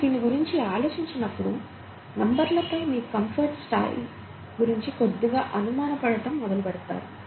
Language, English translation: Telugu, When you start thinking about this, you start slightly doubting the level of comfort you have with numbers, okay